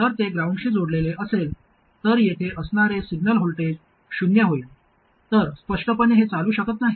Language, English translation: Marathi, So if it is connected to ground, then the signal voltage swing here will be zero